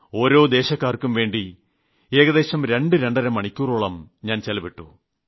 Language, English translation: Malayalam, I had a oneonone meeting with each state, devoting about two to two and a half hours with each one